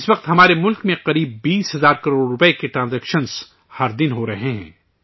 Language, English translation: Urdu, At present, transactions worth about 20 thousand crore rupees are taking place in our country every day